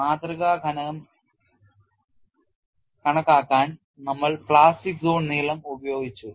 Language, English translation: Malayalam, For the specimen thickness calculation, we have utilized the plastic zone length